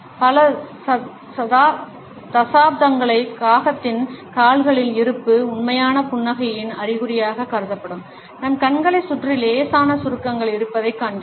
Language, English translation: Tamil, For several decades we find that the presence of the crow’s feet, the mild wrinkles around our eyes what considered to be an indication of genuine smiles